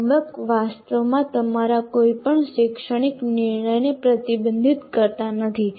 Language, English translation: Gujarati, Actually, framework does not restrict any of your academic decision making